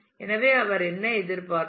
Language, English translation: Tamil, So, what he would have expected